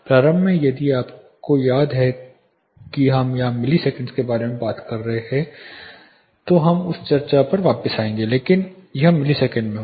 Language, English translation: Hindi, Initially if you remember we were talking about milliseconds here we will come back to that discussion, but this will be in milliseconds